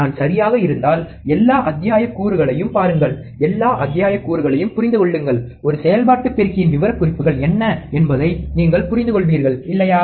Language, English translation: Tamil, If I am correct then take a look at all the modules, understand all the modules, then you will understand what are the specifications of an operational amplifier, alright